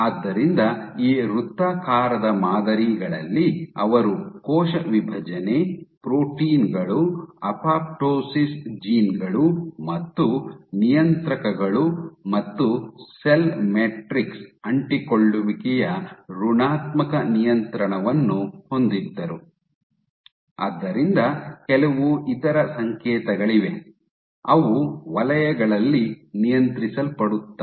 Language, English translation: Kannada, So, what the form that on these circular patterns they had up regulation in cell division, proteins, apoptosis genes and regulators and negative regulation of cell matrix adhesion again, so there are some other signals which are down regulated on the circles